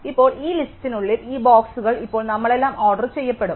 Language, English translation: Malayalam, Now, within this list, these next 15 boxes, these boxes will now be all ordered